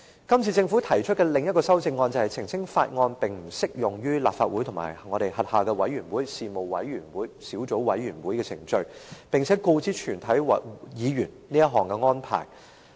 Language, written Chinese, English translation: Cantonese, 今次政府提出的另一項修正案，澄清《條例草案》並不適用於立法會及其轄下的委員會、事務委員會及小組委員會的程序，並且告知全體議員這項安排。, Another amendment proposed by the Government this time clarifies that the Bill is inapplicable to the proceedings of the Legislative Council its committees panels and subcommittees . The Government also informs all Members of this arrangement